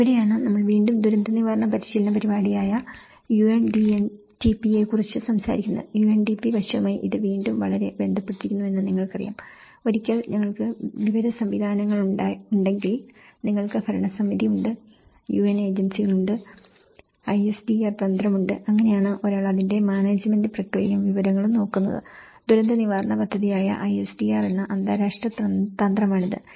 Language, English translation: Malayalam, And this is where we also talk about the UNDMTP which is again the disaster management training and program so, you know this is again very much linked with that UNDP aspect and then once, we have the information systems, one you have the governing bodies, one you have the UN agencies, one you have the strategy ISDR, so that is how one is looking at the management process of it and the information and one is looking at the you know, this the international strategy ISDR which is the disaster reduction program